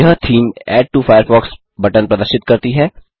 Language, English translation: Hindi, This theme displays Add to Firefox button